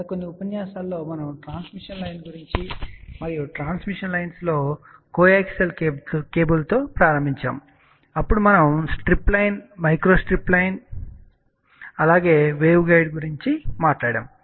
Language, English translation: Telugu, In the last few lectures, we have talked about transmission lines and in the transmission lines, we started with coaxial cable , then we talked about strip line, micro strip line as well as wave kind